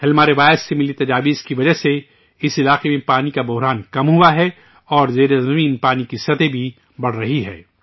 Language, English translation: Urdu, Due to the suggestions received from the Halma tradition, the water crisis in this area has reduced and the ground water level is also increasing